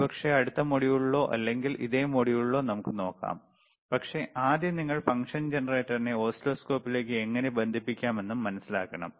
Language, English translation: Malayalam, pProbably in the next module or in the same module let us see, but first let us understand how you can connect the function generator to the oscilloscope